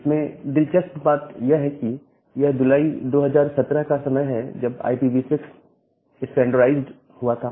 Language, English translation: Hindi, Interestingly it is July 2017 is the time when IPv6 was standardized